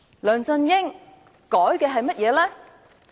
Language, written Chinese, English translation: Cantonese, 梁振英修改了甚麼？, What has LEUNG Chun - ying amended?